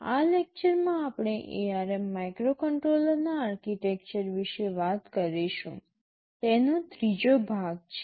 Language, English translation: Gujarati, In this lecture we shall be talking about the Architecture of ARM Microcontroller, the third part of it